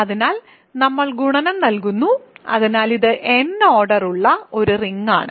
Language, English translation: Malayalam, So, on that we are giving multiplication, so, it is a ring of order n